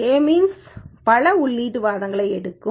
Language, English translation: Tamil, K means takes several input arguments